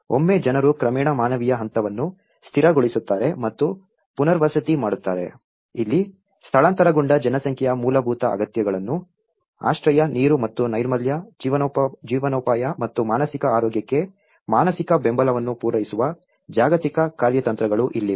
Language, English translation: Kannada, Once, people gradually stabilize and rehabilitation the humanitarian phase this is where the global strategies to cover basic needs of displaced population in shelter, water and sanitation, livelihood and also the psychological support for mental health